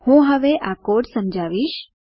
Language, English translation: Gujarati, I will explain the code now